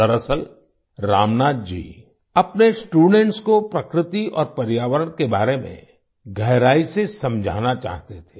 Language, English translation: Hindi, Actually, Ramnath ji wanted to explain deeply about nature and environment to his students